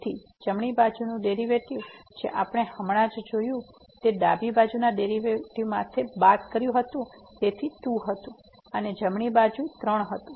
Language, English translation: Gujarati, So, the right side derivative which we have just seen was minus the left side derivative so was 2 and the right side was 3